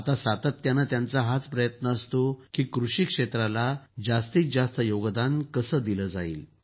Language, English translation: Marathi, Now every moment, he strives to ensure how to contribute maximum in the agriculture sector